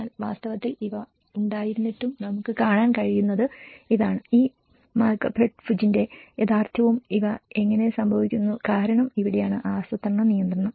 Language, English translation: Malayalam, But in reality, though despite of having these what we can see is the reality of these Malakpet Bhuj and how these things are happening because this is where the planning control